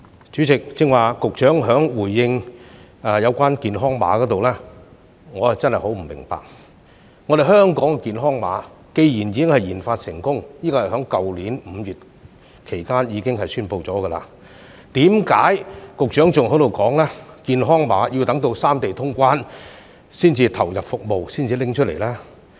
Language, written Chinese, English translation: Cantonese, 主席，剛才局長對於健康碼的回應，我真的很不明白，"香港健康碼"既然已經研發成功——這是在去年5月期間已經宣布的——為何局長仍在說健康碼要待三地通關才會投入服務，才會拿出來呢？, President regarding the Secretarys earlier response about the health codes I really do not quite understand why the Secretary is still saying that the Hong Kong Health Code will not be introduced or put into service until the resumption of cross - boundary travels among the three places even though it has been successfully developed as announced in May last year?